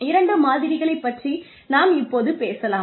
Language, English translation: Tamil, Two models, that we will talk about